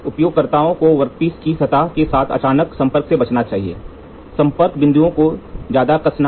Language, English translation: Hindi, So, the user should avoid sudden contact with the workpiece surface, overall tightening of the contact points